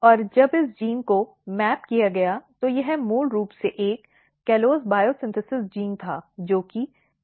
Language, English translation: Hindi, And when this gene was mapped, it was basically one callose biosynthesis gene, which is CAL3